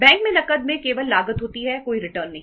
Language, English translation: Hindi, Cash at bank only has a cost, no returns